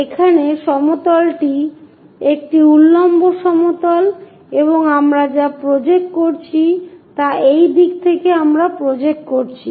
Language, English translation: Bengali, Here the plane is a vertical plane and what we are projecting is in this direction we are projecting